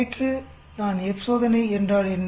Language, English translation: Tamil, Yesterday I introduced what is F test